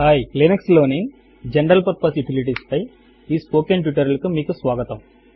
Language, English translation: Telugu, Hi, welcome to this spoken tutorial on General Purpose Utilities in Linux